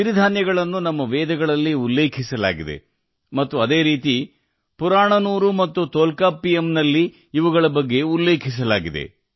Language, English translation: Kannada, Millets are mentioned in our Vedas, and similarly, they are also mentioned in Purananuru and Tolkappiyam